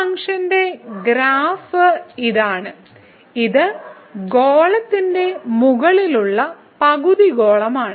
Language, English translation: Malayalam, So, this is the graph of this function which is the sphere basically the half sphere above part of the sphere